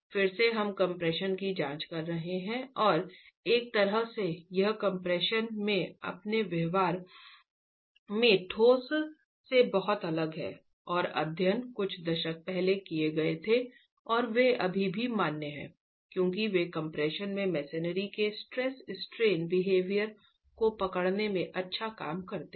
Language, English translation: Hindi, Again, we are examining compression and in a way it's not very different from concrete in its behavior in compression and studies were carried out a few decades ago and they still valid because they do a rather good job in capturing the stress strain behavior of masonry in compression